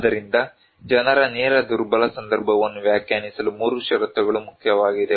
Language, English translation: Kannada, So, 3 conditions are important to define people's direct vulnerable context